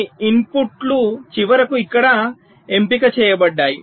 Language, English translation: Telugu, so some inputs are finally selected here